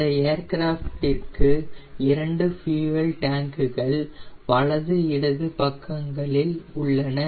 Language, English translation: Tamil, this aircraft has got two fuel tanks, one in the left tank and one in the right tank